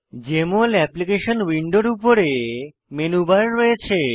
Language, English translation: Bengali, Jmol Application window has a menu bar at the top